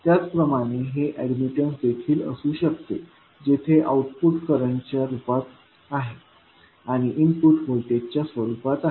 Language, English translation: Marathi, Similarly, it can be admitted also where output is in the form of current and input is in the form of voltage